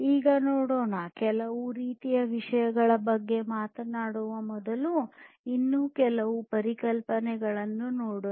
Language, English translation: Kannada, Now, let us look at few more concepts before we talk about few other things